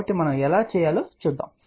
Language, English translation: Telugu, So, let us see how do we do that